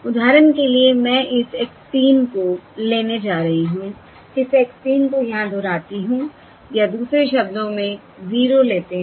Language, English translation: Hindi, For instance, here I am going to take this x 3, repeat this x 3 over here, or in other words, take this 0 and repeat the 0 over here